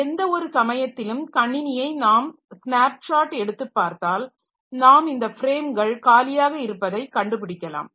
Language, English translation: Tamil, So, at any point of time if you take a snapshot of the system you may find that say this these frames are the free frames